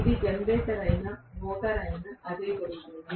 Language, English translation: Telugu, That is what happens whether it is a generator or motor